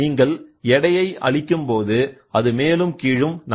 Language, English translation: Tamil, So, when you apply weight, you apply weight, this fellow moves up and down